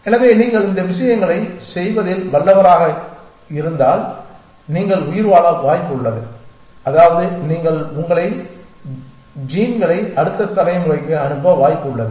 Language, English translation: Tamil, So, if you are good at doing these things then you are likely to survive which means you are likely to pass on your genes to the next generation and so on and so forth